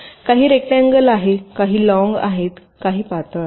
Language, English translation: Marathi, some are rectangular, some are long, some are thin